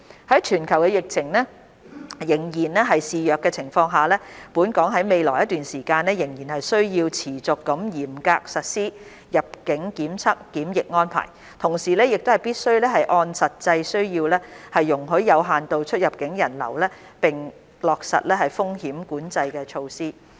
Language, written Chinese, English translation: Cantonese, 在全球疫情仍然肆虐的情況下，本港於未來一段時間仍需持續嚴格實施入境檢測檢疫安排，同時亦必須按實際需要容許有限度出入境人流並落實風險管控措施。, As the epidemic is still rampant across the globe Hong Kong will need to continue to strictly implement entry testing and quarantine arrangements for some time . At the same time we must allow limited cross - boundary people flow having regard to actual needs with the implementation of risk control measures